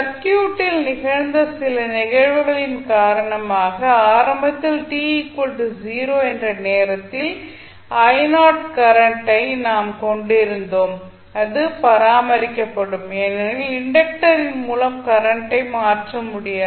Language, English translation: Tamil, So, because of some phenomena which was happened in the circuit we were having initially the current flowing I naught at time equal to 0 and this will be maintained because the current through the inductor cannot change